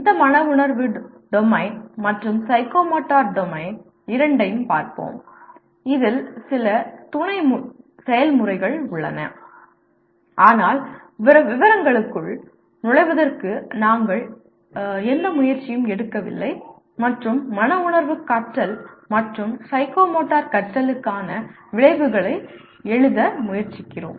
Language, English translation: Tamil, We will see both these affective domain as well as psychomotor domain, some of the sub processes that are involved; but we do not make any attempt to get into the detail and try to write outcomes for affective learning and psychomotor learning